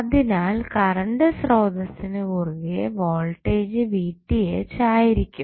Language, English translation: Malayalam, So, voltage Vth would be across the current source